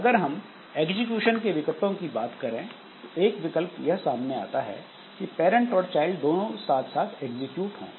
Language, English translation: Hindi, Then as far as execution options are concerned, one option is that the parent and child they execute concurrently